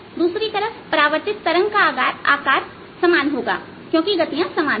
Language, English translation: Hindi, on the other hand, for the reflected wave, the size is going to be the same because the velocities are the same